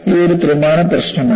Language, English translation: Malayalam, It is a three dimensional problem